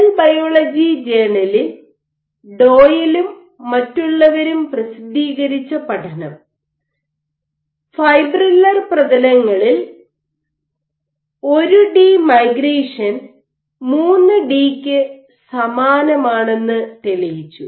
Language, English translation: Malayalam, One other study by Doyle et al, published in J Cell Biol demonstrated that 1 D migration is similar to that in 3 D on fibrillar surfaces